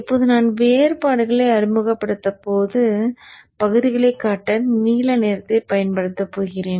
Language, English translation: Tamil, I am going to use the blue color to show the portions at which now I am going to introduce the differences